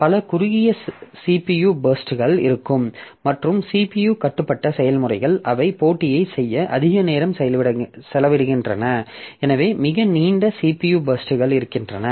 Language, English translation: Tamil, So, there will be many short CPU bursts and CPU bound processes they spend more time doing computation, so very long CPU burst